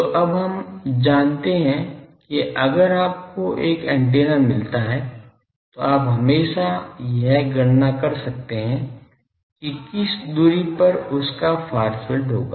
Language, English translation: Hindi, So, now we know if you get a antenna you always can calculate that, at what distance it will have a far field